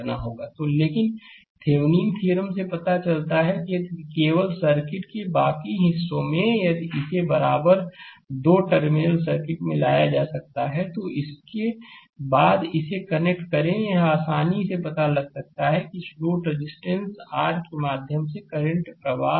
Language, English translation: Hindi, So, but Thevenin’s theorem suggests that if you if you just rest of the circuit, if you can bring it to an equivalent two terminal circuit, then after that you connect this one you can easily find out what is the current flowing through this load resistance R right